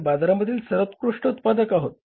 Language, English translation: Marathi, We are the best manufacturers in the market